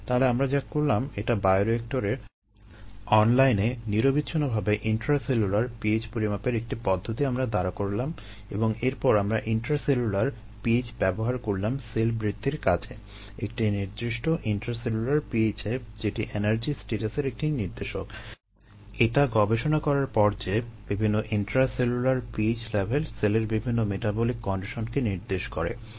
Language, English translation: Bengali, so what we did was we developed this method of intracellular p h measurement online, continuously in the bioreactor, and then we use intracellular p h to grow cells at a particular intracellular p h, which is indicator of energy status, after studying that different intracellular p h levels indicate different metabolic conditions in the cell